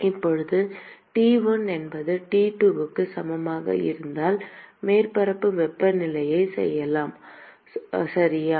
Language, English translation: Tamil, Now, supposing if T1 is equal to T2 equal to let us say a surface temperature, okay